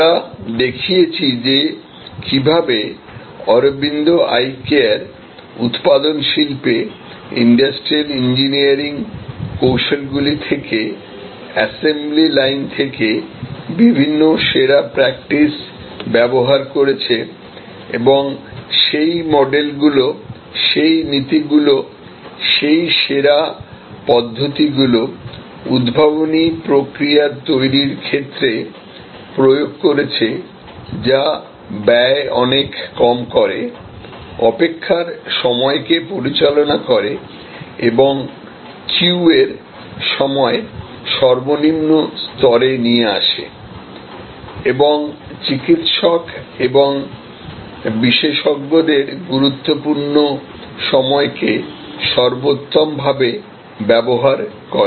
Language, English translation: Bengali, We showed that how Aravind Eye Care has used different best practices from manufacturing assembly line from techniques used in industrial engineering in manufacturing and have applied those models, those principles, those best practices in creating innovative processes, which vastly reduces cost, manages the waiting time and the queue time at a minimum level and optimizes the prime time of the doctors and the experts